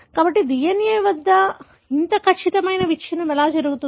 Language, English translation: Telugu, So, how such precise breakage at the DNA takes place